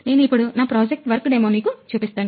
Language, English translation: Telugu, Now, I will give the demo about this project